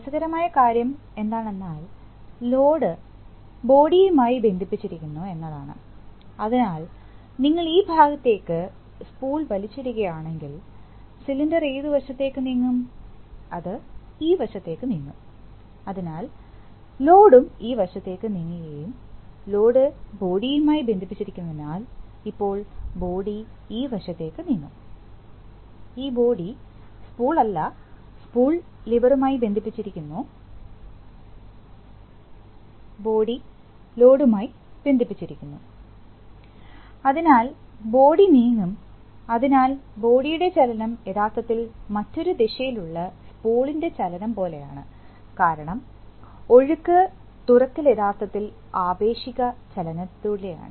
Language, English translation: Malayalam, So the return stroke is going to be controlled, going to the tank, this is the way the fluid will flow, now interesting thing is, where is the feedback, interesting thing is that the load is connected to the body, so if you are pulled it, pulled the spool this side, the cylinder will move which side, it will move this side, so the load will also move this side and the load is connected to the body, so now the body will also move this side, this body, the, not the spool, the spool is connected to the lever and the body is connected to the load, so the body will move, so the movement of the body is actually like a relatively like a movement of the spool in the other direction because the flow, the opening is actually by relative motion